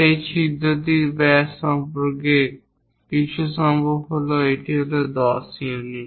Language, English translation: Bengali, Something about diameter of that hole perhaps this one is that 10 units